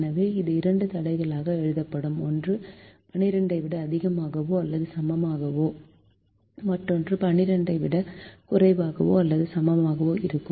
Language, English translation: Tamil, so this will be written as two constraints, one with greater than or equal to twelve, the other with less than or equal to twelve